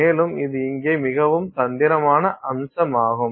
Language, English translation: Tamil, And so that is a very tricky aspect here